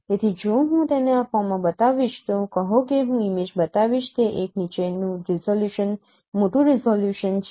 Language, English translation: Gujarati, So if I show it in this form say let me show the image this is a bottom resolution higher resolution